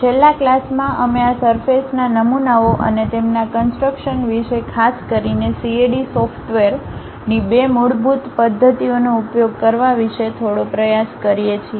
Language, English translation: Gujarati, In the last class, we try to have some idea about this surface models and their construction especially CAD software uses two basic methods of creation of surfaces